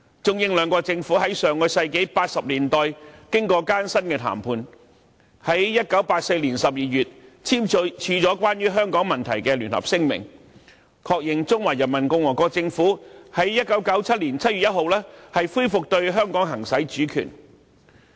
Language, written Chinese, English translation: Cantonese, 中、英兩國政府在1980年代經過艱辛的談判，在1984年12月簽署了關於香港問題的聯合聲明，確認中華人民共和國政府於1997年7月1日恢復對香港行使主權。, After arduous negotiations in 1980s the Chinese Government and the British Government signed the Joint Declaration on the question of Hong Kong in December 1984 which affirmed that the Peoples Republic of China would resume the exercise of sovereignty over Hong Kong on 1 July 1997